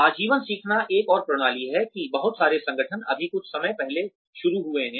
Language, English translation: Hindi, Lifelong learning is another system, that a lot of organizations have just started, sometime back